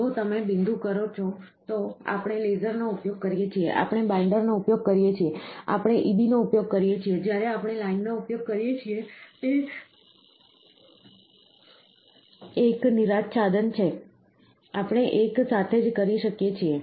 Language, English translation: Gujarati, If you do point we use laser, we use binder, we used EB, when we use line, it is an exposure, we can do in one shot